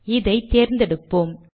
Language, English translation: Tamil, So let me select it